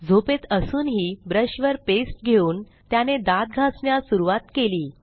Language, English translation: Marathi, He is sleepy but manages to pick up his brush, apply paste and start brushing